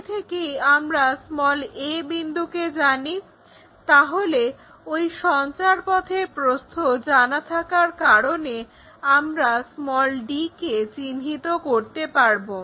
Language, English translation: Bengali, Already we know this a point, already we know a point, so the on that locus because of this breadth we can locate d point also